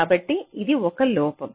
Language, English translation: Telugu, so this is a drawback